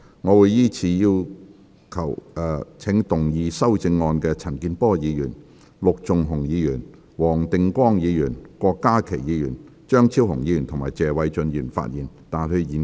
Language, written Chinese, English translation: Cantonese, 我會依次請要動議修正案的陳健波議員、陸頌雄議員、黃定光議員、郭家麒議員、張超雄議員及謝偉俊議員發言，但他們在現階段不可動議修正案。, I will call upon Members who will move the amendments to speak in the following order Mr CHAN Kin - por Mr LUK Chung - hung Mr WONG Ting - kwong Dr KWOK Ka - ki Dr Fernando CHEUNG and Mr Paul TSE but they may not move the amendments at this stage